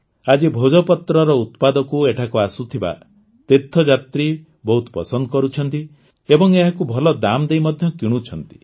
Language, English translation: Odia, Today, the products of Bhojpatra are very much liked by the pilgrims coming here and are also buying it at good prices